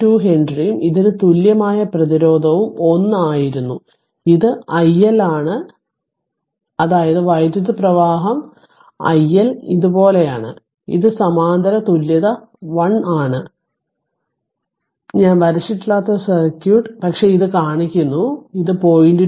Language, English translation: Malayalam, 2 Henry and this equivalent resistance was 1 ohm right and this is your i L this is your i L , that means current is flowing i L like this right so and this is this parallel equivalent is your 1 ohm that circuit I have not drawn ah, but just showing you and this is the 0